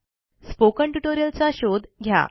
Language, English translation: Marathi, Search for spoken tutorial